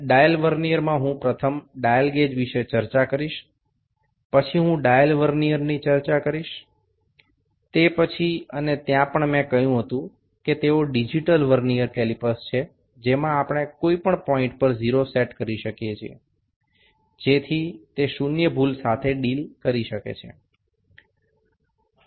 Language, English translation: Gujarati, The dial Vernier is the one first I will discussed the dial gauge then I will discuss dial Vernier, after that and also there as I said they are digital Vernier calipers in which we can set 0 at any point, so that can also be the deal with the zero error